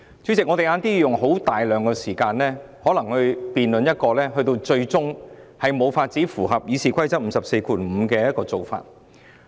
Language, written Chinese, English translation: Cantonese, 主席，我們稍後要用大量時間，辯論一項可能最終無法符合《議事規則》第545條規定的議案。, President we will spend a lot of time to debate this motion which ultimately may not satisfy the requirements under Rule 545 of the Rules of Procedure